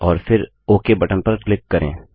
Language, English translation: Hindi, And then click on the OK button